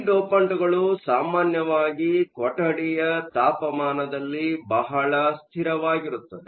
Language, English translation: Kannada, These dopants are usually very stable at room temperature